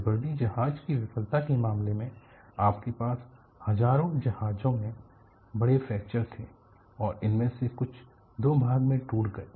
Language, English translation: Hindi, In the case of Liberty ship failure, you had thousands of ships had major fractures, and some of them broke into two